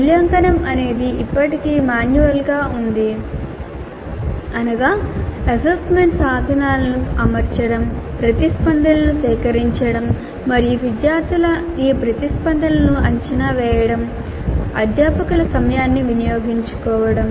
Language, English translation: Telugu, Evaluation was and still is dominantly manual, which means that setting the assessment instruments, collecting the responses and evaluating these responses of the students consumed considerable amount of faculty time